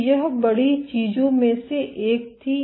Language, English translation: Hindi, So, this was one of the big things